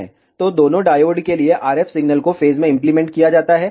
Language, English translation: Hindi, So, for the both diodes, the RF signal is applied in phase